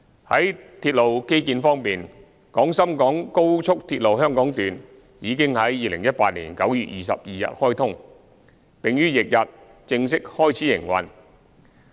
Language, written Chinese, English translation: Cantonese, 在鐵路基建方面，廣深港高速鐵路香港段已於2018年9月22日開通，並於翌日正式開始營運。, Regarding railway infrastructure the Hong Kong Section of the Guangzhou - Shenzhen - Hong Kong Express Rail Link was commissioned on 22 September 2018 and commenced operation on the next day